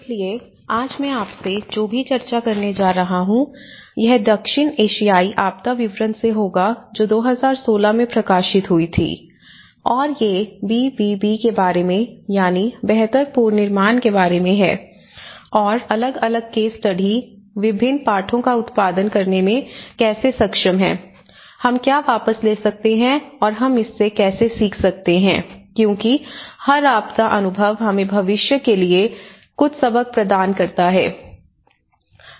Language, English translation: Hindi, So, whatever I am going to discuss with you today, it will be from the South Asian disaster report which was published in 2016 and these about the BBB the build back better and how different case studies are able to produce different lessons, what we can take back and how we can learn from it because every disaster experience provide us some lessons to take over for the future